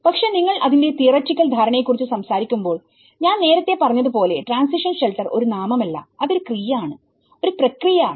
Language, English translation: Malayalam, But when you talk about the theoretical understanding of it, you know as I said you in the beginning transition shelter is not a noun, it is a verb, it is a process